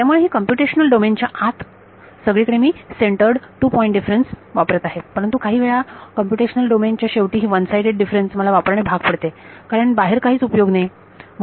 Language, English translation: Marathi, So, these inside the computational domain everywhere I use centered two point difference, but I am forced to use this one sided differences sometimes at the end of the computational domain because there is no point outside